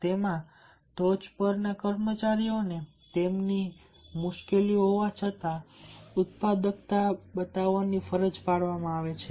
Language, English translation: Gujarati, and in the top of it, the employees are forced to show the productivity despite of their difficulties